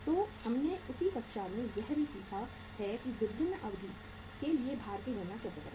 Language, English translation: Hindi, So we have learnt in the class that how to calculate the weights for the different durations